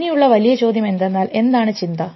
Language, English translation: Malayalam, So, the big question comes what is thought